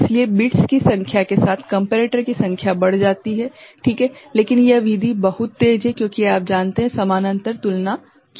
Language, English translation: Hindi, So, number of comparator increases you know with the number of bits that you are using ok, but this method is very fast because parallel you know, comparison is being done ok